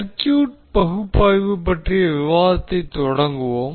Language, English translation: Tamil, So let us start the discussion of the circuit analysis